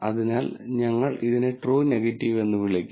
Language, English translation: Malayalam, So, we will call this as the true negative